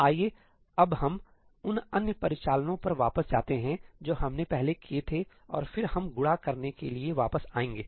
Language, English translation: Hindi, Let us just go back to the other operations that we did first and then we will come back to matrix multiply